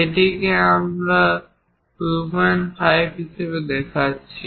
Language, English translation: Bengali, This one we are showing as 2